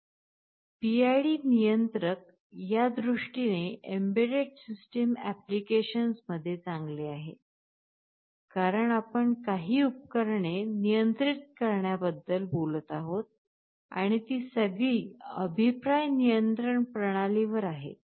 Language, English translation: Marathi, PID controller is good in this sense and in embedded system applications, because you are talking about controlling some appliances and all of these are feedback control systems